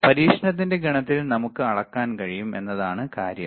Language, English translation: Malayalam, In the set of experiment is that we can measure